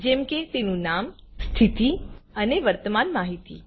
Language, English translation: Gujarati, Like its name, status and current information